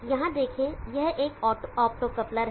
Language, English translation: Hindi, See here this is an optocoupler